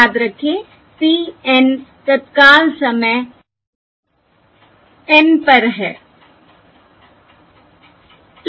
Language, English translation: Hindi, Remember p N is the variance at time, instant N